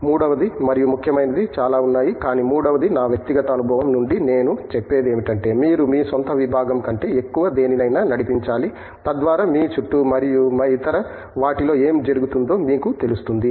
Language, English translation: Telugu, Third and very significant that there are lot of things, but at third that I would add from my personal experience is you should be leading something more than you are own discipline as well, so that you are aware of whatÕs happening around you and in other disciplines